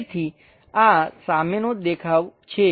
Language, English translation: Gujarati, So, this is the front view